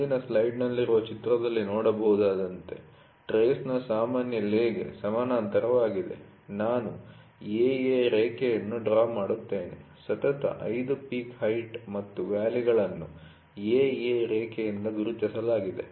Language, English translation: Kannada, As can be seen in the figure in the next slide, which I will draw a line AA parallel to the general lay of the trace is drawn, the height of 5 consecutive peak and valleys from the line AA are noted